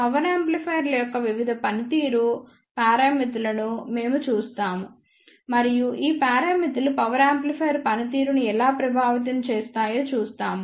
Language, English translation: Telugu, We will see the various performance parameters of power amplifiers and we will see how these parameters affects the performance of power amplifier